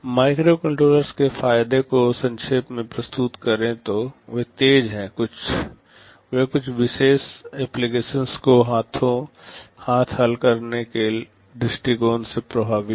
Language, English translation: Hindi, To summarize the advantages of microcontrollers, they are fast, they are effective from the point of view of solving some particular application at hand